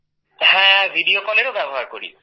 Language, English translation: Bengali, Yes, we use Video Call